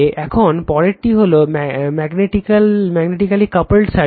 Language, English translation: Bengali, Now, next is magnetically coupled circuit